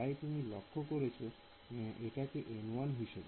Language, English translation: Bengali, So, that is why you notice that its N 1